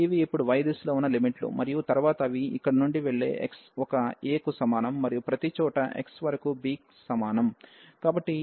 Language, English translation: Telugu, So, these are the limits now in the direction of y and then such lines they goes from here x is equal to a to and everywhere up to x is equal to b